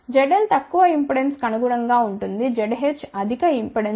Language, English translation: Telugu, Z l corresponds to low impedance Z h corresponds to high impedance ok